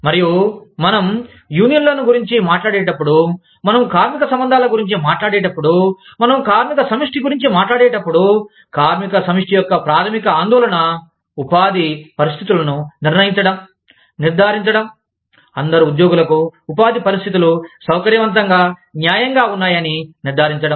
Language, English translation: Telugu, And, when we talk about, unions, when we talk about, labor relations, when we talk about, labor collectives, the primary concern of labor collectives, is to determine the conditions of employment, is to ensure, that the conditions of employment, are fair, is to ensure, that the conditions of employment, are comfortable, for all the employees